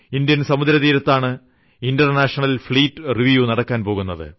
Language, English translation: Malayalam, International Fleet Review is happening on the coastal region of India